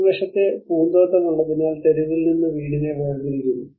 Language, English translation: Malayalam, But because of we have the front garden which is detaching the house from the street